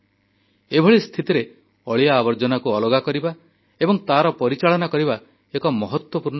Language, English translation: Odia, In such a situation, the segregation and management of garbage is a very important task in itself